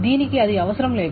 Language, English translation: Telugu, It doesn't require that